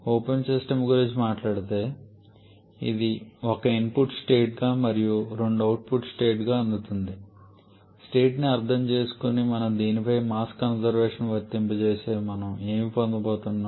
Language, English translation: Telugu, If we talk about an open system like this which is receiving 1 as input state and 2 as output state then if we understand state consideration if we apply the mass conservation on this then what we are going to get